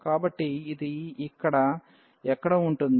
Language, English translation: Telugu, So, this is going to be somewhere here